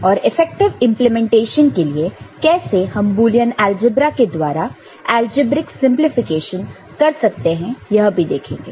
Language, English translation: Hindi, And we shall see that algebraic simplification using Boolean algebra is useful for efficient implementation